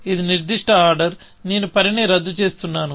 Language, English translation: Telugu, This particular order, I am undoing the work